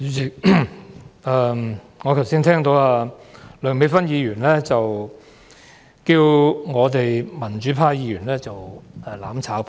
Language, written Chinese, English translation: Cantonese, 主席，我剛才聽到梁美芬議員稱呼民主派議員為"攬炒派"。, Just now Chairman I have heard Dr Priscilla LEUNG refer to the pro - democratic Members as a group of people seeking to burn together with others